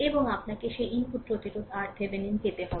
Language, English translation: Bengali, And you have to get that input resistance R Thevenin, right